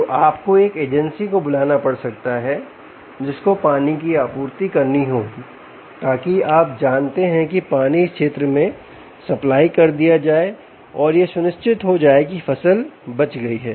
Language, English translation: Hindi, so you may have to call an agency which will have to supply water so that water is, you know, supplied to this field and ensure that the crop is saved